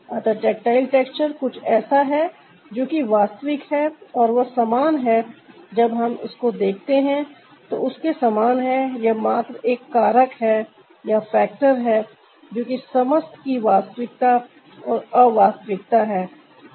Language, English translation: Hindi, so tactile texture is ah something which is real and ah that that like when we look at its just like it's just the factor that is the tangibility and intangibility of the whole thing